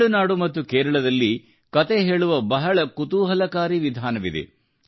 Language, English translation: Kannada, In Tamilnadu and Kerala, there is a very interesting style of storytelling